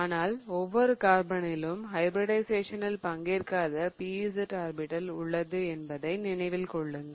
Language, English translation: Tamil, Remember there were those p orbitals that did not take part in hybridization